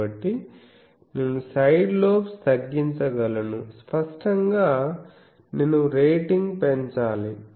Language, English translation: Telugu, So, I can reduce the side lobes; obviously, I will have to increase the rating